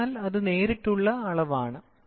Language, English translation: Malayalam, So, that is direct measurement